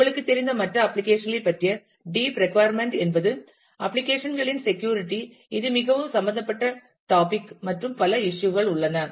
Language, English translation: Tamil, Other very deep you know concerned, deep requirement about applications are the security of applications, there are this is a very involved topic, and there are several issues that are involved